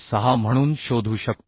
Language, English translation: Marathi, 1 that will be 6